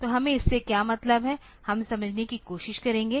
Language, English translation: Hindi, So, what do we mean by that let us try to understand